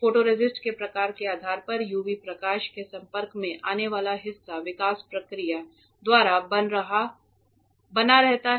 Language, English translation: Hindi, Depending on the type of photoresist the part that was exposed to the UV light remains or gets removed by the development process